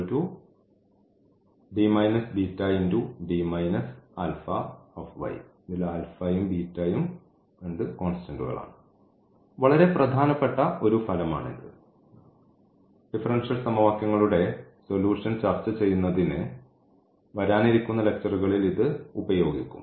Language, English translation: Malayalam, So, this is a very important effect here which will be used in following lectures to discuss the solution of the differential equations